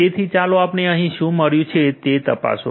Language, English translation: Gujarati, So, let me check what we have got here